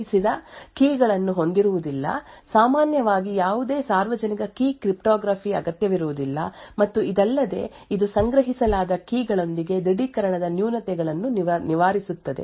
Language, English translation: Kannada, So, Physically Unclonable Functions can be used for authenticating devices, it does not have require any stored keys, typically does not require any public key cryptography, and furthermore it also, alleviates the drawbacks of authentication with the stored keys